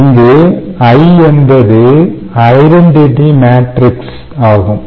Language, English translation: Tamil, ok, so i is the identity matrix, clear, and same sizes a